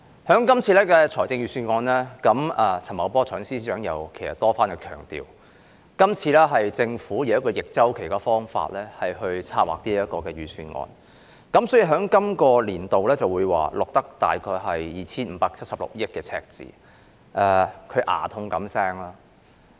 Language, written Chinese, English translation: Cantonese, 代理主席，就這份財政預算案，財政司司長陳茂波多番強調是以逆周期的方法策劃，好像牙痛般說本年度會有大約 2,576 億元的赤字。, Deputy President speaking of this Budget Financial Secretary FS Paul CHAN has repeatedly emphasized its counter - cyclical nature and moaned that there would be a deficit of around 257.6 billion this year